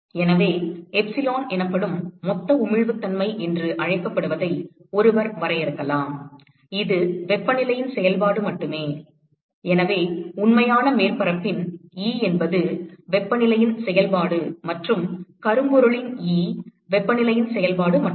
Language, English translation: Tamil, So, one could define what is called a total emissivity that is epsilon which is only a function of temperature so, that will be E of the real surface is a function of temperature and E of the blackbody which is only a function of temperature